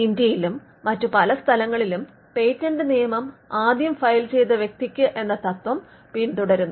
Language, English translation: Malayalam, The patent law in India and in other places follows the first file, it does not follow the first to invent principles